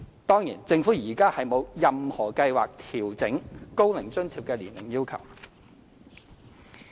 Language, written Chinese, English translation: Cantonese, 當然，政府現時沒有任何計劃調整高齡津貼的年齡要求。, The Government of course has no plans to adjust the age requirement for OAA at the moment